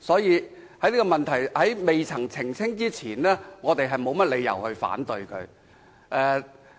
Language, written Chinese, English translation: Cantonese, 因此，在政府澄清之前，我們沒有甚麼理由反對它。, Hence we do not have reason to raise objection to it until and unless further clarification is given by the Government